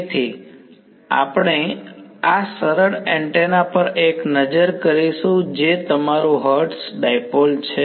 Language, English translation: Gujarati, So, we will have a look at this simplest antenna which is your Hertz dipole ok